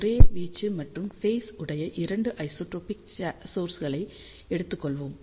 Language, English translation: Tamil, So, let us start with array of 2 isotropic point sources